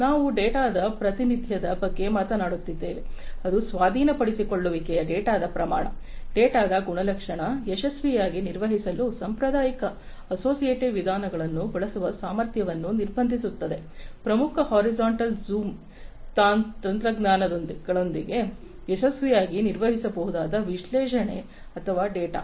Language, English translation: Kannada, We are talking about representation of data of which acquisition speed the data volume, data characterization, restricts the capacity of using conventional associative methods to manage successfully; the analysis or the data, which can be successfully operated with important horizontal zoom technologies